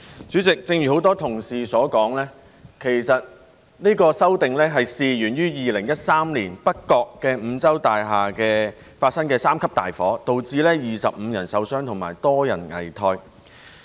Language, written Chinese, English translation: Cantonese, 主席，正如很多同事所說，其實有關的修訂是源於2013年北角五洲大廈發生三級大火，導致25人受傷及多人危殆。, President as many colleagues have mentioned the relevant amendment is triggered by the No . 3 alarm fire at North Points Continental Mansion in 2013 which had caused 25 injuries and many of them were in critical condition